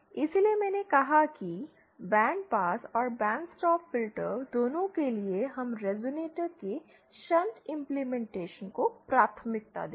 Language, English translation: Hindi, So I said that both for the band pass and band stop filter, we would prefer shunt implementation of the resonator